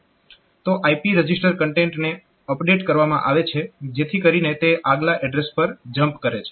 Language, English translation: Gujarati, So, the IP register content is updated so that it jumps to the next address